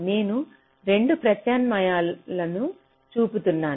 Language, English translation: Telugu, so i am showing two alternatives